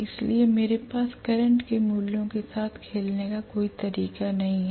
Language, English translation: Hindi, So there is no way I can play around with the values of the current